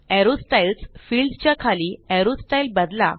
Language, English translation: Marathi, Under the Arrow Styles field, change the arrow styles